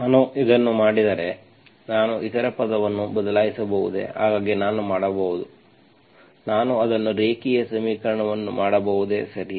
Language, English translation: Kannada, If I do this, can I replace the other term, so can I, can I do, can I make it linear equation, okay